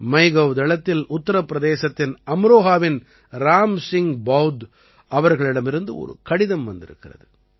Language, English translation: Tamil, On MyGov, I have received a letter from Ram Singh BaudhJi of Amroha in Uttar Pradesh